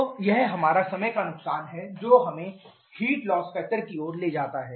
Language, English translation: Hindi, So, this is our time loss let us move to the heat loss factor